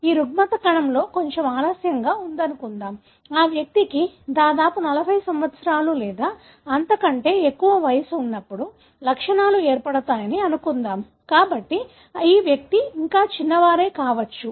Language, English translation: Telugu, Assuming this disorder is little late on set, let’s assume that the symptoms sets in around, when the individual is around 40 years or so, so, these individuals may be still they are young